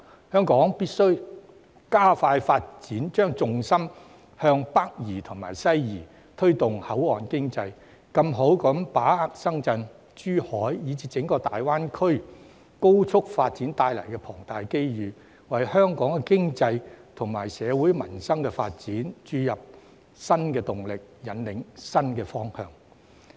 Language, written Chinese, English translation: Cantonese, 香港必須加快發展，將重心向北移及西移，推動口岸經濟，更充分把握深圳、珠海，以至整個大灣區高速發展帶來的龐大機遇，為香港經濟及社會民生發展注入新動力、引領新方向。, Hong Kong must speed up its development shift the focus of development to its northern and western parts and promote the port economy to better capitalize on the massive opportunities brought by the rapid development of Shenzhen Zhuhai and the entire Greater Bay Area with a view to injecting new impetus into and giving a new direction to Hong Kongs economic and social development